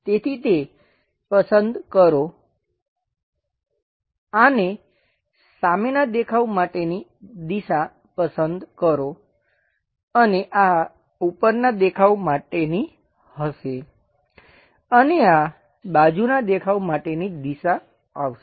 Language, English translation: Gujarati, So, pick this one, pick this one for the front view direction and this will be top view direction and this one will be side view direction